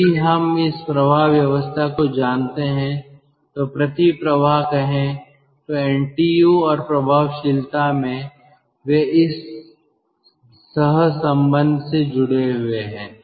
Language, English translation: Hindi, if we know these flow arrangement lets say counter flow then in ntu and effectiveness they are connected by this correlation